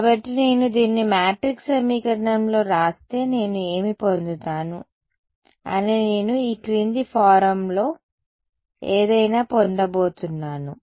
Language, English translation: Telugu, So, if I write this out into a matrix equation what will I get I am going to get something of the following form